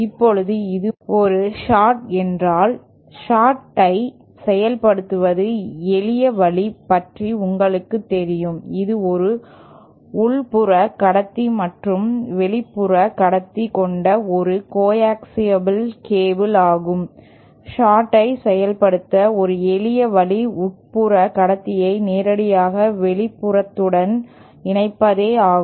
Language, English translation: Tamil, Now suppose this is a short, simple way of implementing a short could be you know, to shot, this is a coaxial cable with an inner conductor and outer conductor, a simple way to implement the short would be to directly connect the inner conductor with the outer conductor